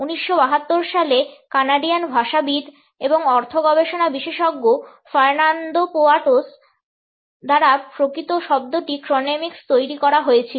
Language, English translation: Bengali, The actual term chronemics was coined in 1972 by Fernando Poyatos, a Canadian linguist and semiotician